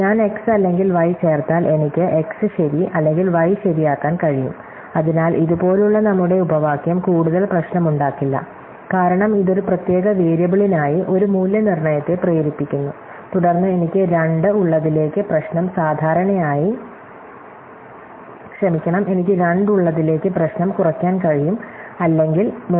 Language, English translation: Malayalam, If I add x or y, I can make x true or y true, so our clause like this does not contribute much more problem, because it forces a valuation for a particular variable, and then I can reduce the problem to one which has or